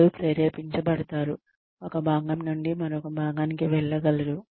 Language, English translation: Telugu, They will be able to feel motivated, to go from one part to another